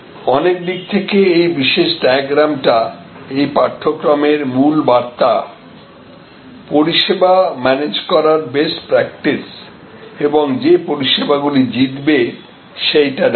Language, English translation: Bengali, In many ways, this particular diagram captures the key messages of this course on the best practices for managing services and the kind of services that will win